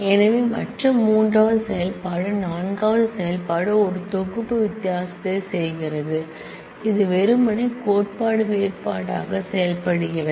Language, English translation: Tamil, So, other the 3rd operation is the a 4th operation is doing a set difference it is works simply as set theoretic difference